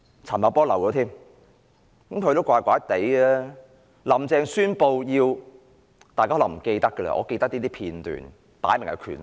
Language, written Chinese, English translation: Cantonese, 陳茂波也是怪怪的，大家可能忘記了，但我記得一些片段，擺明是權鬥。, There is something about him that Members may have forgotten but I recall some scenes which clearly suggested a power struggle